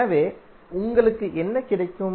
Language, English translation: Tamil, So what you get